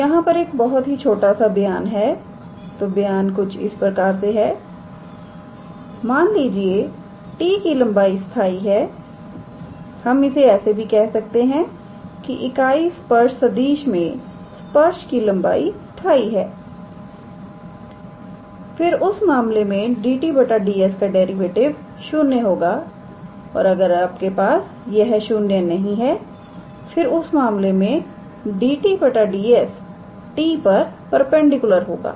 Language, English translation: Hindi, So, there is a small statement, so the statement is suppose, the length of t is constant, so since how to say the length of the tangent in this unit tangent vector is constant then in that case dt ds the its derivative will be 0, and if it is not 0 then in that case dt ds will be perpendicular to t, alright